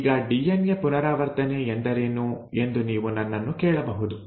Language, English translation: Kannada, Now, you may ask me what is DNA replication